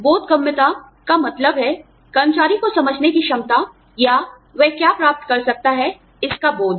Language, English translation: Hindi, Comprehensibility deals with, the employee's ability to understand, what he or she, can get